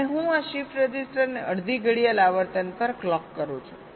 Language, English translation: Gujarati, i am clocking shift register with a clock of frequency f